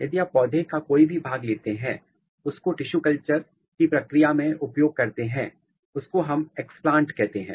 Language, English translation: Hindi, If you take any part of the plant which typically we are using in the process of tissue culture which we called explant